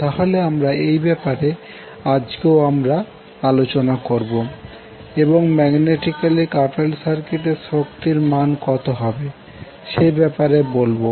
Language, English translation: Bengali, So we will continue our decision today and we will talk about energy stored in magnetically coupled circuits